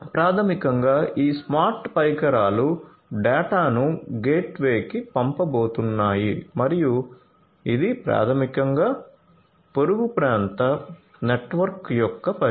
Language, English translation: Telugu, So, basically these smart devices are going to send the data to the gateway and that is basically the scope of the neighborhood area network